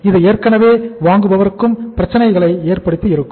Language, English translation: Tamil, It has the already means created the problem for the buyer also